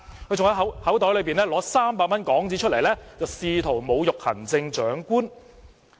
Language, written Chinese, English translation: Cantonese, 他更從口袋取出300港元，試圖侮辱行政長官。, He even took out 300 from his pocket trying to insult the Chief Executive